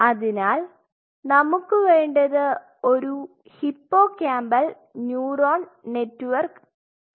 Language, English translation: Malayalam, So, we needed a hippocampal neuronal network